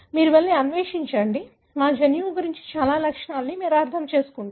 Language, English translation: Telugu, You go and explore, you will understand lot of features about our genome